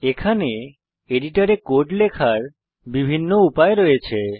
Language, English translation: Bengali, There are several ways to enter the code in the editor